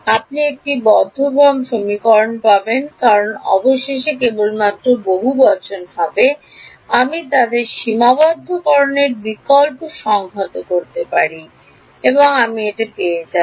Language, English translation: Bengali, You will get a closed form equation because finally, there will just be polynomial I can integrate them substitute the limits and I will get it so